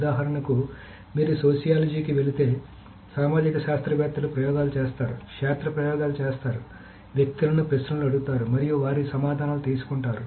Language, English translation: Telugu, So for example, if you go to sociology, sociologists will do experiments, field experiments, will ask people questions and we'll take their answers and so on so forth